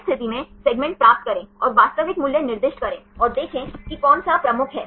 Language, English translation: Hindi, In this case, get the segments and assign the real values and see which one is dominant